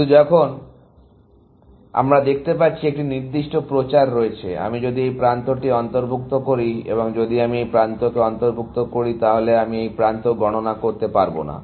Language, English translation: Bengali, But now, we see that there is certain propagation, which takes place that if I am including this edge, and if I am including this edge; I cannot count this edge